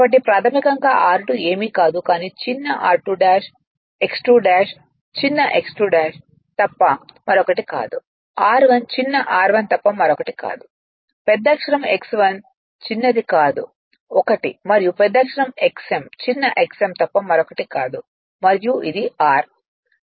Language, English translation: Telugu, So, basically r 2 dash is nothing, but small r 2 dash, X 2 dash is nothing but small X 2 dash, r 1 is nothing but small r 1, capital X 1 nothing but small r 1, and capital X m is nothing but a small X m and this is r I right